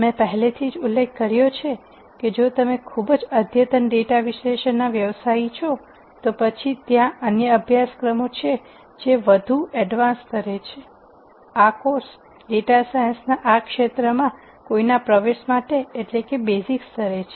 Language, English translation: Gujarati, As I mentioned already if you are a very advanced data analysis practitioner then there are other courses which are at more advanced levels that are relevant, this course is at a basic level for someone to get into this field of data science